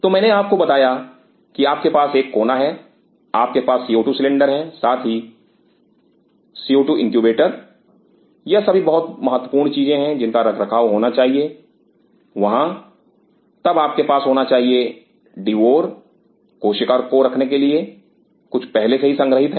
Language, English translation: Hindi, So, I told you that you have one corner you have the co 2 cylinder as well as the co 2 incubator these are the critical thing which has to be maintained there then you have to have the devour keeping the cell some have stored